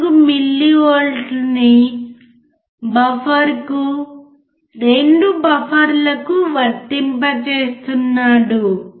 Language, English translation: Telugu, 4 millivolts across the buffer, 2 buffers